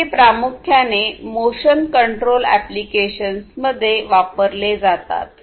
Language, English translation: Marathi, So, these are primarily used in motion control applications